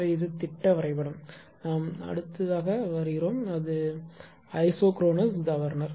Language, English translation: Tamil, So, this is schematic diagram; we will come to that later right next is that isochronous governor